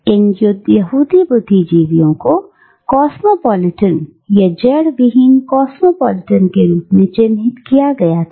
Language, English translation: Hindi, And these Jewish intellectuals were labelled as cosmopolitans, or as rootless cosmopolitans